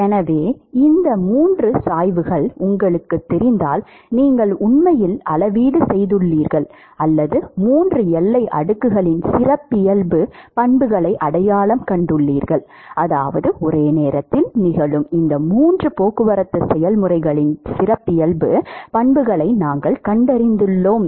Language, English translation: Tamil, So, if you know these three gradients, you actually quantified or you have identified the characteristic properties of the 3 boundary layers; which means that we have identified the characteristic properties of these three transport processes that are occurring simultaneously